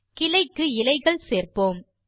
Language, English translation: Tamil, Let us add leaves to the branch